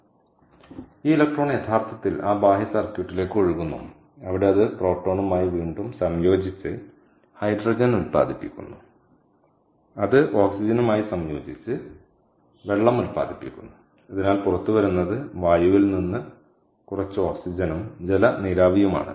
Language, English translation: Malayalam, ok, so this electron actually flows to that external circuit and it comes to the other electrode where it recombines with the proton to produce hydrogen, which then combines with the oxygen to produce water, and what comes out, therefore, is the air minus some oxygen and water vapour, ok, and its an exothermic reaction